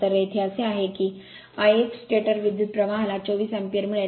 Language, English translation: Marathi, So, here it is your what you call that I 1 stator current you will get 24 ampere right